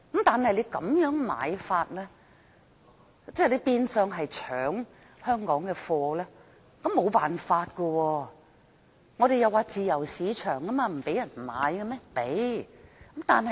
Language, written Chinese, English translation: Cantonese, 但是，他們這樣子買樓，即變相搶香港的貨，我們也沒有辦法，香港是自由市場，難道不讓別人買嗎？, But when they bought properties in such a way they were like robbing Hong Kong of its goods though we can do nothing about it as Hong Kong is a free market and we could not bar other people from making these purchases could we?